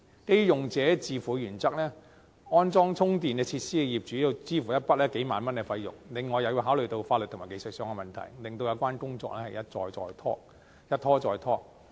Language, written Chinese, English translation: Cantonese, 基於用者自付的原則，安裝充電設施的業主要支付一筆數萬元費用，另外也要考慮法律和技術上的問題，令有關工作一拖再拖。, In view of the user pays principle the owners will have to pay a sum of several ten thousand dollars for installing the charging facilities in addition to considering the legal and technical issues the related works has therefore been repeatedly delayed